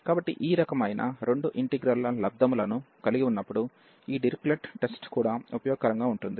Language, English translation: Telugu, So, this Dirichlet’s test is also useful, when we have this kind of product of two integrals